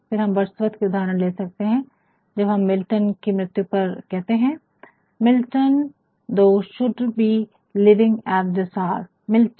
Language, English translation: Hindi, Again, we can take an examplefrom words worth when on the death ofMilton he says, Milton Thou should be living at this hour